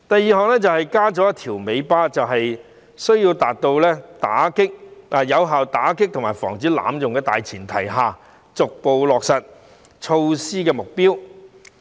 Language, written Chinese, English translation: Cantonese, 此外，政府亦表示要在有效打擊及防止濫用的大前提下，逐步落實有關措施。, Besides the Government also says that on the premise of being able to combat and prevent abuse effectively the measure concerned will be implemented progressively